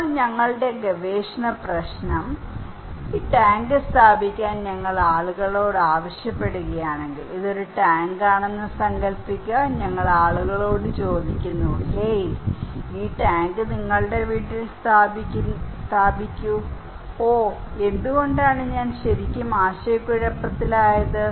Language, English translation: Malayalam, So, our research problem then, If we are asking people to install this tank, imagine this is a tank, we ask people hey, install this tank at your house oh, I am really confused why